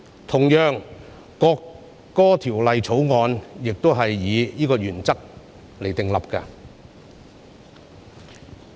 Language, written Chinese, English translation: Cantonese, 同樣地，《條例草案》也是按此原則訂立。, Such an approach is constitutional fair and reasonable . Similarly the Bill was formulated on this principle